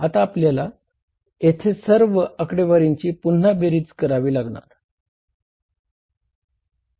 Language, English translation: Marathi, And now we will have to again start the adding up of all the figures here